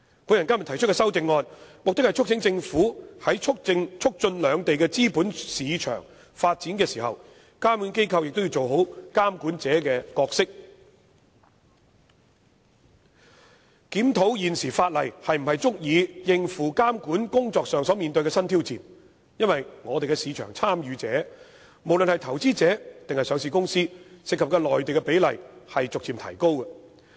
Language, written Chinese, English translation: Cantonese, 我今天提出的修正案，目的是促請政府在促進兩地資本市場發展的時候，監管機構都要做好監管者的角色，檢討現時法例是否足以應付監管工作上所面對的新挑戰，因為我們的市場參與者，不論是投資者還是上市公司，涉及內地的比例都逐漸提高。, I propose an amendment today with the intention of urging the Government to facilitate the development of the capital markets in both places while also calling upon regulators to properly discharge their regulatory roles and review the ability of the existing legislation to cope with new regulatory challenges . The reason is that the proportion of our market participants from the Mainland be they individual investors or listed companies is gradually increasing